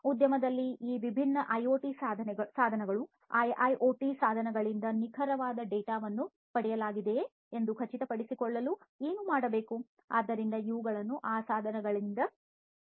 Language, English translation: Kannada, To do what to ensure that the accurate data is obtained from these different IoT devices, IIoT devices, in the industry; these are obtained from these devices